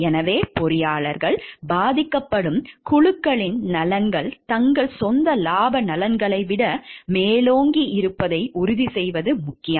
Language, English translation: Tamil, Thus it becomes important for engineers to make sure that the interest of the groups to be affected prevails over their own interest of profit